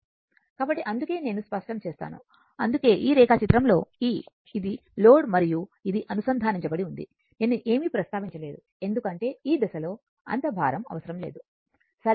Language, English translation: Telugu, So, that is why just let me clear it, that is why your in this diagram in this diagram; that in this diagram that is this part that this is the load right and this is connected, I did not mention anything because at this stage load not required right